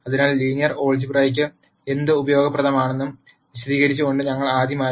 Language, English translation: Malayalam, So, we rst start by explaining what linear algebra is useful for